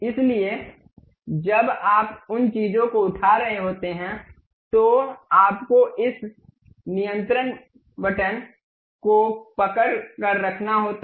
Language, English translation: Hindi, So, when you are picking the things you have to make keep hold of that control button